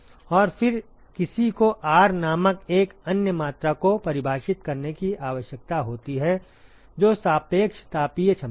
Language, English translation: Hindi, And then, one needs to define another quantity called R which is the relative thermal capacity